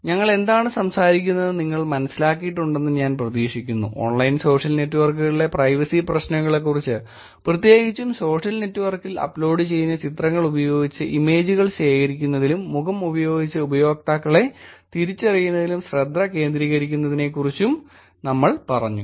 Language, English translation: Malayalam, I hope you understood what we were talking about, we just talking about the Privacy Issues in Online Social Networks particularly focused on collecting images and identifying users using the face, pictures, using the images that are uploaded on social networks